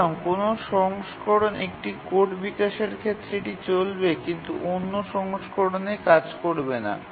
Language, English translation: Bengali, So you develop code on one version, it don't work on another version